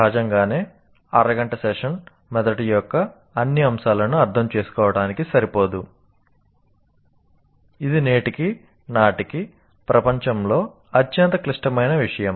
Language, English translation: Telugu, Obviously, half an hour is not sufficient to understand the all aspects of the brain, which is the most complex, what do you call, a most complex thing in the world as of today